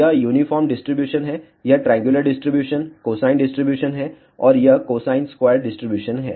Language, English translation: Hindi, So, this is the uniform distribution, this is the triangular distribution, cosine distribution, and this is cosine squared distribution